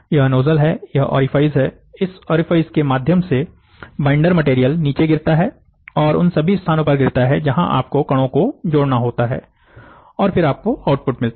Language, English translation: Hindi, So, these are nozzle, these are orifice, through this orifice the binder material falls down and this binder material drops on the location, where ever you have to join the particles and then you get an output